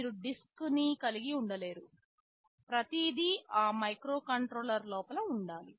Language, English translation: Telugu, You cannot afford to have a disk, everything will be inside that microcontroller itself